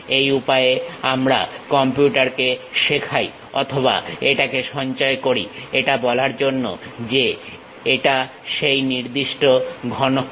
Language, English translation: Bengali, That is the way we teach it to the computer or store it to say that it is of that particular cuboid